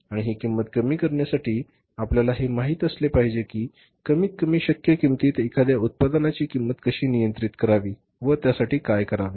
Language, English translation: Marathi, And for reducing the cost you should know how to cost the product at the minimum possible cost, how to keep the cost under control